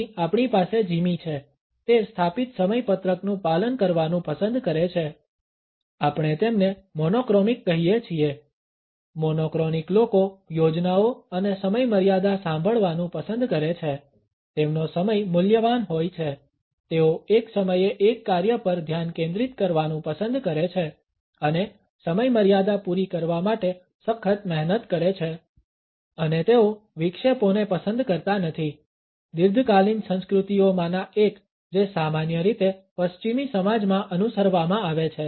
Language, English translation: Gujarati, Here we have Jimmy, he likes to follow established schedules, we call them monochromic; monochronic people like to hear the plans and deadlines their time is valuable they like to focus on one task at a time and work hard to meet deadlines and they do not appreciate interruptions one of the chronic cultures commonly followed in western society